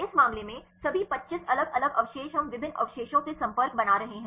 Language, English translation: Hindi, In this case all the 25 different residues we are making the contacts from different residues